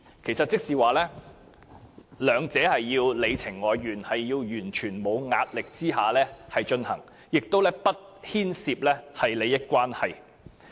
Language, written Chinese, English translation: Cantonese, 意思是雙方必須你情我願，要在完全沒有壓力下進行，亦不能牽涉任何利益關係。, This means that there must be mutual consent and no coercion and there must not be any involvement of interests either